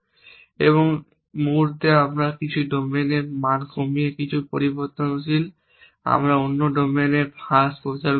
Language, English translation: Bengali, And the moment we reduce the value of some domain some variable we can propagate a reduction to another domain